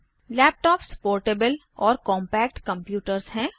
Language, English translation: Hindi, Laptops are portable and compact computers